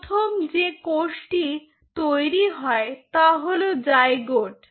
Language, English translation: Bengali, so the first cell which was formed was a zygote, right